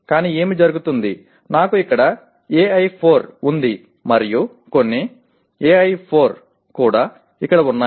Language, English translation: Telugu, But what happens is I have AI4 here and some AI4 also here